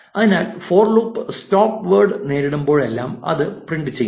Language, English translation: Malayalam, So, essentially whenever the for loop encounters the stopword it will not print it